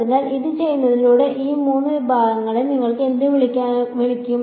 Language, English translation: Malayalam, So, by doing this, what are what will you call these three segments